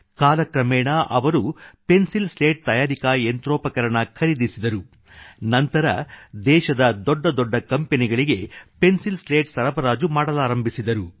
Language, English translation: Kannada, With the passage of time, he bought pencil slat manufacturing machinery and started the supply of pencil slats to some of the biggest companies of the country